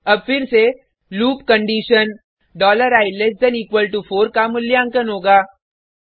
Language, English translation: Hindi, Now again, the loop condition $i=4 will be evaluated